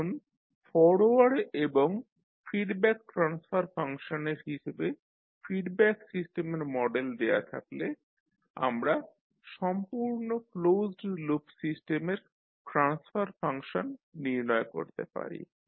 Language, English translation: Bengali, Now given the model of the feedback system in terms of its forward and feedback transfer function we can determine the transfer function of the complete closed loop system